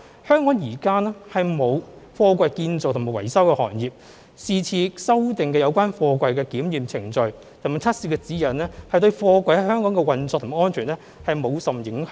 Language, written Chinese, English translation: Cantonese, 香港現時並沒有貨櫃建造和維修行業，是次修訂有關貨櫃的檢驗程序和測試指引等對貨櫃在本港的運作和安全無甚影響。, At present Hong Kong does not have an industry for manufacturing and repairing containers therefore the amendments concerning the inspection procedures and testing guidelines this time around should have very little impact on the operation and safety of containers in Hong Kong